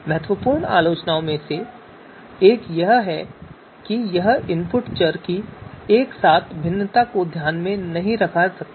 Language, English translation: Hindi, So one of the important criticism is that does not take into account the simultaneous variation of input variables